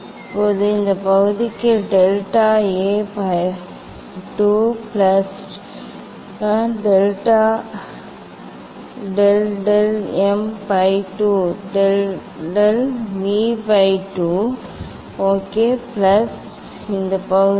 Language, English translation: Tamil, Now for this part that is delta A by 2 plus delta del of del m by 2 del of del m by 2 ok plus this part